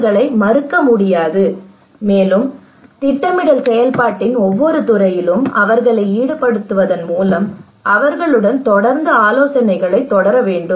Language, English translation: Tamil, No, you should not forget them you should actually continue consultations with them involving them in every sphere of the planning process